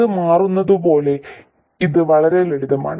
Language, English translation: Malayalam, It's quite simple as it turns out